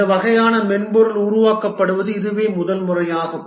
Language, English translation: Tamil, It's possibly the first time that this kind of software is being developed